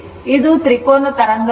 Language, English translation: Kannada, It is triangular